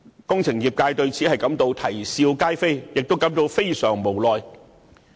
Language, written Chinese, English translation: Cantonese, 工程業界對此感到啼笑皆非，亦感到非常無奈。, The engineering sector finds this ridiculous and is at its wits end with regard to this phenomenon